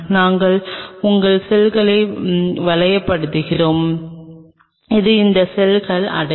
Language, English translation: Tamil, And we your ring the cells and these cells are reach